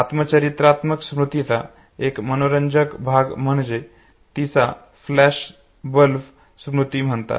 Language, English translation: Marathi, An interesting aspect of autobiographical memory is, what is called as flashbulb memory